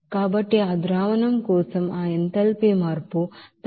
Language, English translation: Telugu, So for that, that enthalpy change for that solution at its ratio of 2